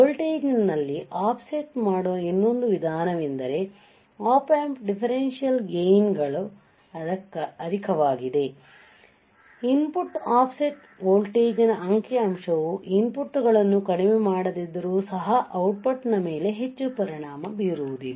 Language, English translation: Kannada, This is one way of offset in the voltage be being that Op Amp differential gains are high the figure for input offset voltage does not have to be much effect on the output even though inputs are shorted right